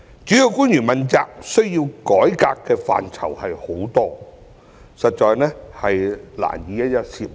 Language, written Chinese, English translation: Cantonese, 主要官員問責制需要改革的範疇眾多，實在難以一一涉獵。, The accountability system for principal officials needs reform in so many areas that it is indeed difficult to cover each and every one of them